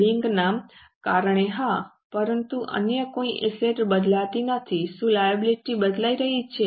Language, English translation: Gujarati, Because of bank, yes, but no other asset is changing